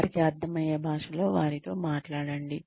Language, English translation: Telugu, Talk to them in a language, that they will understand